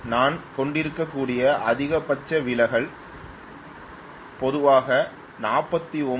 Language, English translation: Tamil, The maximum deviation I may have is from 49